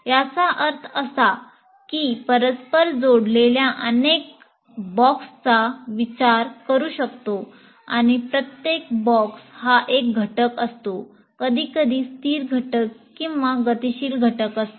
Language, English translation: Marathi, That means I can consider several boxes which are interconnected and each box is an element, sometimes a static element or a dynamic element